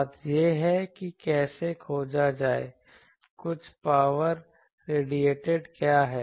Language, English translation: Hindi, The thing is how to find, what is the total power radiated